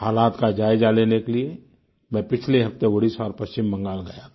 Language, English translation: Hindi, I went to take stock of the situation last week to Odisha and West Bengal